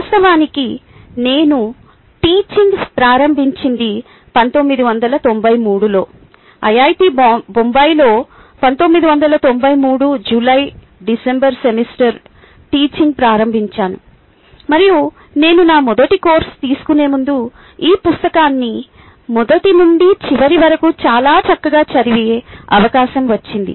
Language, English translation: Telugu, in fact, i would happened to begin ah began teaching in nineteen ninety three the july, december semister of nineteen ninety three at iit bombay, and i had an opportunity to read this book pretty much from cover to cover just before i took my very first course